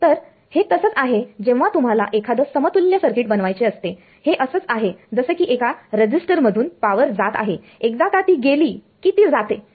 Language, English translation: Marathi, So, this is like if you want to make a circuit equivalent of its like power that is going through a resistor once its goes its goes